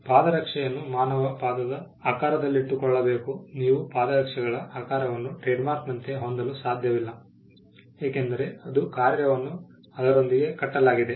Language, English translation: Kannada, A footwear has to be shaped like the human foot you cannot have the shape of a footwear as a trademark, because it is function is tied to it is use